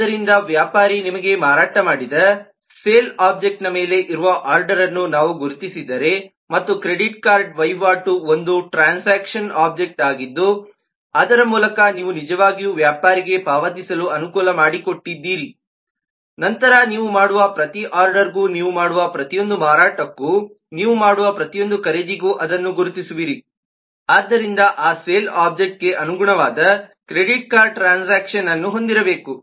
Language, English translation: Kannada, so if we identify the order to be on the sale object which the merchant has sold you and the credit card transaction is a transaction object through which you have actually made the facilitated the payment to the merchant, then you will identify that for every order, every sale that you do, every buy that you do, that sale object must have a corresponding credit card transaction object